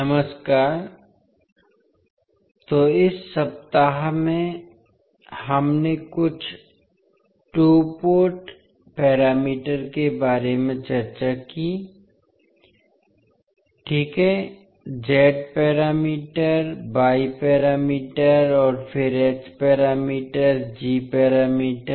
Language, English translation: Hindi, Namaskar, so in this week we discussed about few two Port parameters precisely Z parameters, Y parameters and then H parameters, G parameters